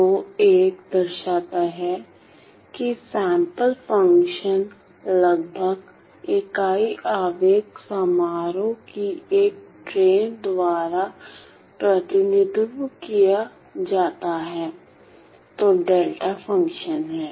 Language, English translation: Hindi, So, we see that my sampled function is represented by these unit impulse functions which is the delta functions